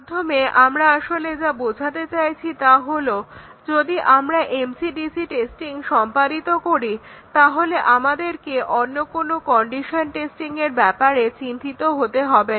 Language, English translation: Bengali, So, what we really mean by this is that if we are doing MC/DC testing, we do not have to worry about any other condition testing